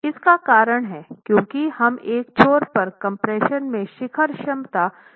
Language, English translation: Hindi, The reason why it is capped off is because we are starting off with a peak capacity on a peak capacity in compression on one end